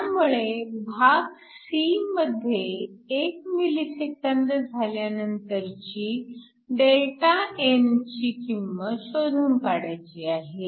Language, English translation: Marathi, So, part c, we want to calculate Δn 1 millisecond later